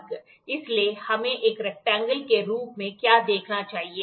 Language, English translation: Hindi, So, what we should view as a rectangle type